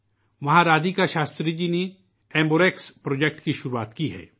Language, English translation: Urdu, Here Radhika Shastriji has started the AmbuRx Amburex Project